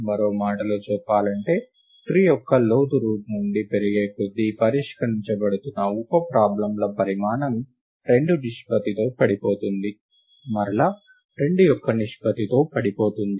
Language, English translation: Telugu, In other words, as the depth of the tree increases from the root, the size of the sub problems being solved falls by a ratio of 2 – falls by a far fraction of 2